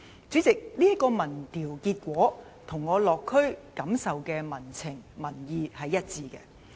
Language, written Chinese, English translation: Cantonese, 主席，這項民調結果與我落區感受到的民情民意是一致的。, President the result of this opinion poll is consistent with the sentiments and feelings of the people in the districts I have visited